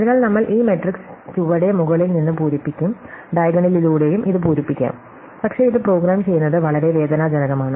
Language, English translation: Malayalam, So, we will fill up this matrix from bottom top, we can also fill it up by diagonal, but it is very painful to program it